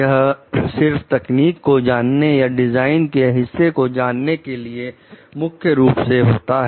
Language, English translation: Hindi, So, this is mainly for the knowing the technology or design part of it